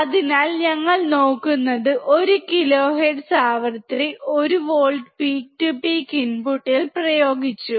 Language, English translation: Malayalam, So, what we are looking at, we have applied 1 volts peak to peak, around 1 kilohertz frequency at the input